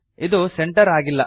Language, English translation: Kannada, This is not centered